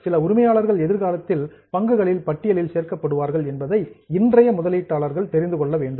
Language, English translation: Tamil, So, today's investors should know that there are some owners which are in future going to be included in the list of shares